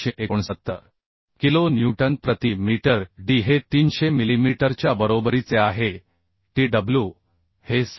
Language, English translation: Marathi, 369 kilonewton per meter for this section D is equal to 300 millimetre tw is equal to 6